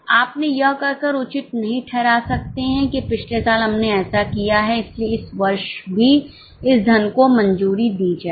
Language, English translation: Hindi, You cannot justify it by saying that last year we have done this, so this year also sanctioned this money